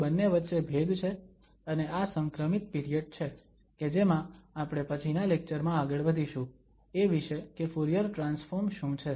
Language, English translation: Gujarati, So, there is the difference between the two and this is the transition period where we will move to in next lectures about the what is the so called Fourier transform